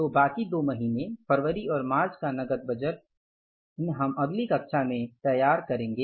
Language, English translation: Hindi, So the remaining two months cash budget, February and March, these two months months cash budget I will prepare in the next class